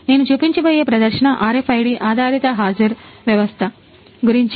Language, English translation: Telugu, So, the demo that I am going to show is about RFID based attendance system